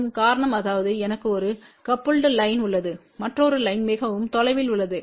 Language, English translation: Tamil, And the reason for that is let us say i have a one coupled line and the another line is put quiet far away